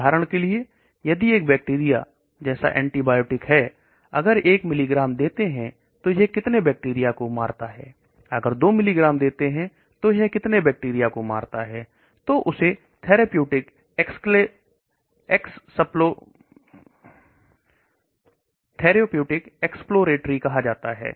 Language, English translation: Hindi, For example, it is bacterial like an antibiotic, if I give 1 milligram how much bacteria is killed, if I give 2 milligrams how much bacteria is killed, so that is called therapeutic exploratory